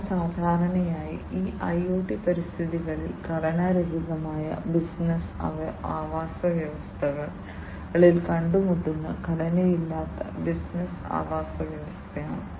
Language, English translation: Malayalam, They are typically unstructured business ecosystems that are typically encountered in these IoT environments, unstructured business ecosystems